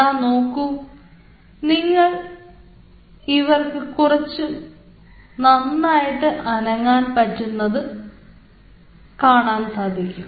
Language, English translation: Malayalam, now you see, they can move better, like this